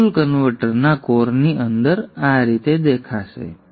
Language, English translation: Gujarati, So this is how the push pull converter will operate